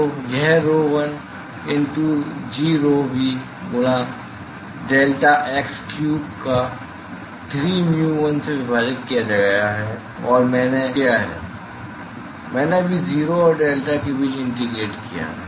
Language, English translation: Hindi, So, that will turn out to the rho l into g rho v multiplied by deltax cube divided by 3 times mu l all I have done is I have just integrated between 0 and delta